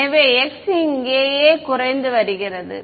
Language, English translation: Tamil, So, x is decreasing over here right